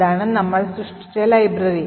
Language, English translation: Malayalam, So, this is the library we create